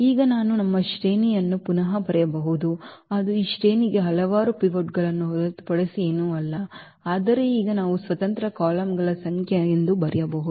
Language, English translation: Kannada, So, now we can rewrite our definition which says for this rank that this is nothing but a number of pivots, but now we can write down as the number of independent columns